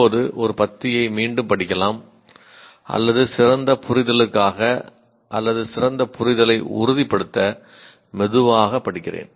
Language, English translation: Tamil, Now, this can be rereading a paragraph or I read slower to ensure better comprehension or better understanding